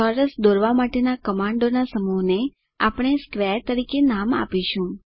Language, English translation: Gujarati, We will name of this set of commands to draw a square as square